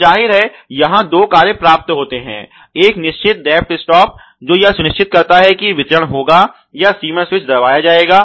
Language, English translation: Hindi, So obviously, there are two functions attained here one is obviously the depth stop, which gives or which ensures that the dispensing would happen or the limit switch would be pressed